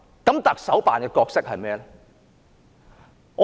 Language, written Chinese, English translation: Cantonese, 特首辦的角色是甚麼？, What role does the Chief Executives Office play?